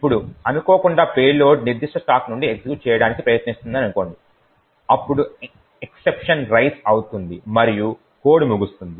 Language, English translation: Telugu, Now by chance if let us say the payload is trying to execute from that particular stack then an exception get raised and the code will terminate